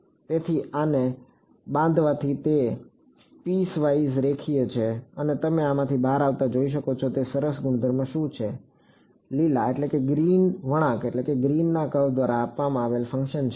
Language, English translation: Gujarati, So, by constructing this it is piecewise linear and what is the nice property that you can see coming out of this, the function given by the green curve is